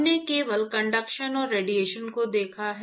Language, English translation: Hindi, We looked at only conduction and radiation